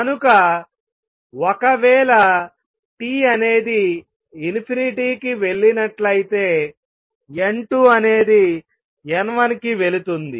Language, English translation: Telugu, So, if T goes to infinity N 2 goes to N 1 they become equal